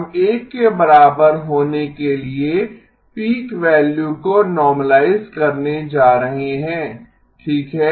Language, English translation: Hindi, We are going to normalize the peak value to be equal to 1 okay